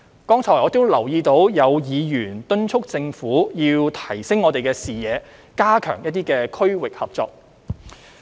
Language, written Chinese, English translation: Cantonese, 剛才我留意到有議員敦促政府要提升視野，加強區域合作。, Just now I noticed that some Members urged the Government to enhance its vision and strengthen regional cooperation